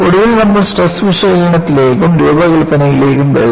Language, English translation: Malayalam, And, finally we come to stress analysis and design